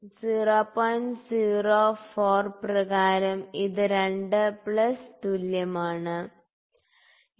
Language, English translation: Malayalam, 04 this is equal 2 plus, ok